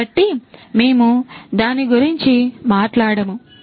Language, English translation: Telugu, So, we have talked about that